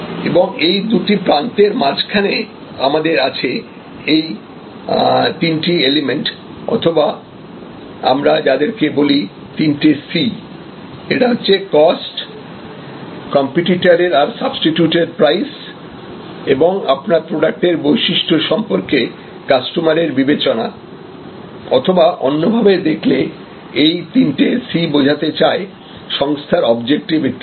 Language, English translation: Bengali, So, between these two ends, we have this three elements or three C’S as we often call them; that is cost, competitors prices and price substitutes and customers assessment of the uniqueness of your service or in some way, they also these C’S stands for the companies objectives and so on